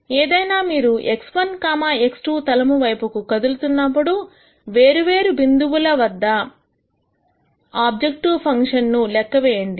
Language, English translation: Telugu, Nonetheless if you start moving in the x 1, x 2 plane then when you compute the objective function at di erent points